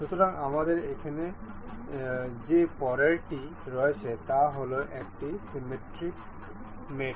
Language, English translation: Bengali, So, for the next one that we have here is symmetric mate